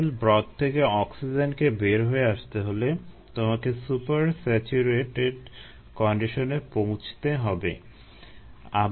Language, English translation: Bengali, for oxygen to go out of the liquid broth you need to reach super saturated conditions